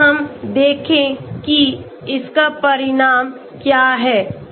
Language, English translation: Hindi, Let us see what is the result